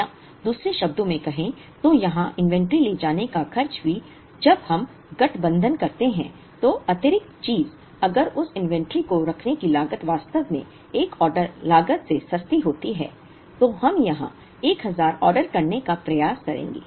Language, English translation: Hindi, Or in other words, if the cost of carrying the inventory of this in here also which is the additional thing that we do when we combine, if that cost of holding that inventory is actually cheaper than one order cost then we would end up ordering a 1000 here